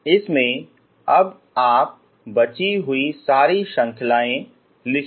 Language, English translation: Hindi, In this one now you write all the remaining series, okay